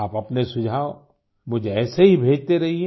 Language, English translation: Hindi, Do continue to keep sending me your suggestions